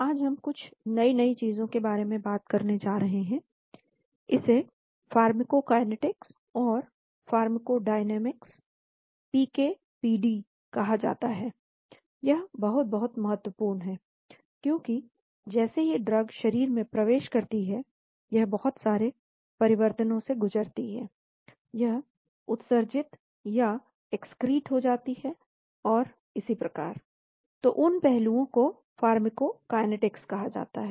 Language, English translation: Hindi, Today, we are going to talk about something new, it is called pharmacokinetics and pharmacodynamics PK PD, this is very, very important, because as soon as the drug enters the body it undergoes so many changes, it gets excreted and so on , so those aspects are called pharmacokinetics